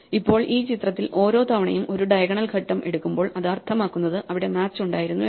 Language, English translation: Malayalam, Now, in this a picture every time we take a diagonal step it means we actually had a match